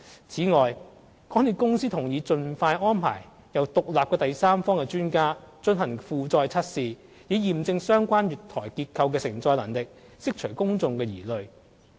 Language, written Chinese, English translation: Cantonese, 此外，港鐵公司同意盡快安排由獨立第三方專家進行負載測試，以驗證相關月台結構的承載能力，釋除公眾疑慮。, Moreover MTRCL agreed to employ an independent third - party expert to carry out load tests in order to verify the loading capacity and allay the concerns of the public